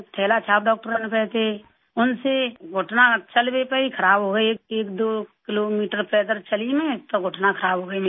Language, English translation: Hindi, I was able to walk with them but the knees got worse, I had only walked 12 kilometers and then my knees got worse